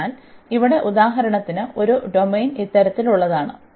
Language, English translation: Malayalam, So, here for example have a domain is of this kind